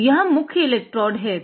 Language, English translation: Hindi, So, this is main electrodes